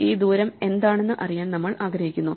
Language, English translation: Malayalam, So, we want to know what is this distance